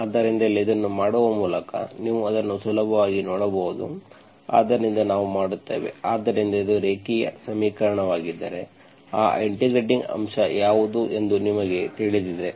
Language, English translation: Kannada, So here by doing this, you can easily see that, so we will, so if it is a linear equation, you know what is that integrating factor